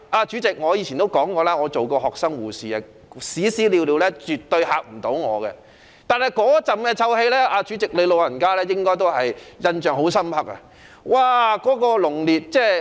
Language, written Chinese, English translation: Cantonese, 主席，我以前說過，我做過學生護士，屎尿絕對嚇不到我，但主席，你對那股臭味應該印象深刻。, Chairman as I said previously I used to be a student nurse and faeces and urine can by no means deter me . However Chairman you must vividly remember that stench